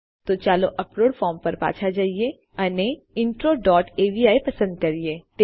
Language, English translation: Gujarati, So lets go back to the upload form and lets choose intro dot avi